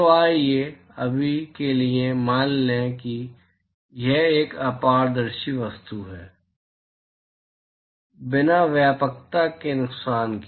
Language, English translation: Hindi, So, let us assume for now that it is a opaque object, without loss of generality